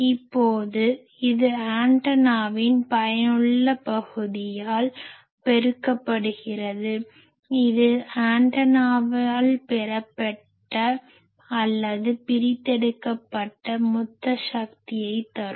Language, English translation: Tamil, Now, that multiplied by effective area of the antenna that should give me the total power received by the antenna, received or extracted by the antenna